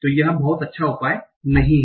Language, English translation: Hindi, So this is not a good solution